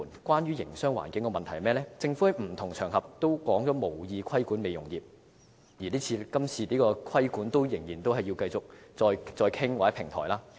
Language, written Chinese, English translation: Cantonese, 關於營商環境的問題，政府在不同場合都指出無意規管美容業，而今次的規管仍只是繼續再作討論或設立平台。, Regarding business environment the Government has indicated on different occasions that it does not intent to regulate the beauty industry . The proposed regulatory framework still remains at the discussion stage or at the stage of forming a platform for discussion